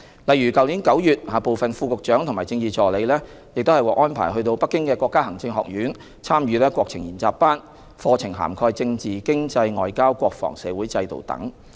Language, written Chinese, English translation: Cantonese, 例如去年9月，部分副局長和政治助理獲安排到北京的國家行政學院，參與國情研習班，課題涵蓋政治、經濟、外交、國防、社會制度等。, For instance some Deputy Directors of Bureau and Political Assistants attended a national studies course offered by the Chinese Academy of Governance in Beijing last September . The programme covered topics such as politics economy foreign affairs national security and social system